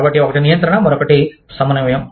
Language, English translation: Telugu, So, one is control, the other is coordinate